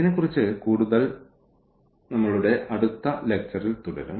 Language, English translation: Malayalam, So, more on this we will continue in our next lecture